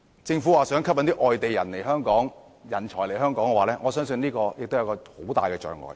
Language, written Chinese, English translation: Cantonese, 政府表示想吸引外地人才來港，我相信樓價是一大障礙。, While the Government has expressed its intention to attract outside talent to Hong Kong I believe our property prices will be a major obstacle